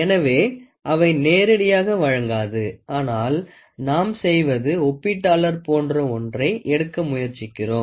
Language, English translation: Tamil, So, they will not directly provide, but what we do is we try to take it something like a comparator